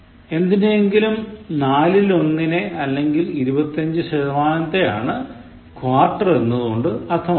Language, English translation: Malayalam, “Quarter” is one fourth or twenty five percent of something